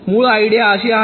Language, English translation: Marathi, the basic idea is like this